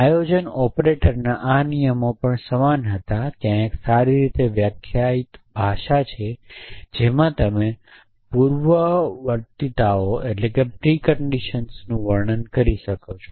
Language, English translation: Gujarati, The planning operators had the similar flavor about rules at there was a well defined language in which you could describe the preconditions